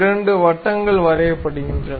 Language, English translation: Tamil, So, two circles are done